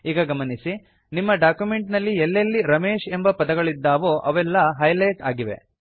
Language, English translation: Kannada, You see that all the places where Ramesh is written in our document, get highlighted